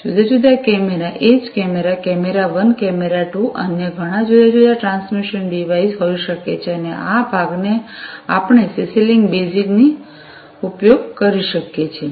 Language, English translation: Gujarati, Different cameras likewise cameras, camera 1, camera 2, different other may be transmission devices and this part we could use CC link basic